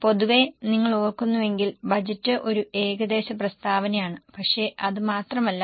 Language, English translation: Malayalam, In general, if you remember, budget is an estimated statement